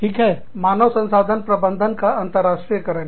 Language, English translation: Hindi, This is international human resource management